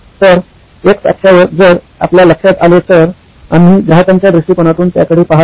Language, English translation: Marathi, So, on the x axis if you notice, we are looking at it from the customer point of view